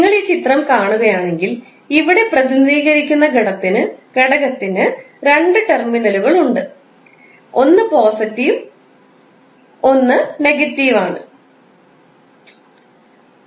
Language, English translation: Malayalam, So, that is simply if you see this figure the element is represented here and now you have two terminals; one is positive another is negative